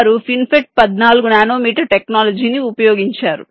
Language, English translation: Telugu, they have used fin fet fourteen nanometer technology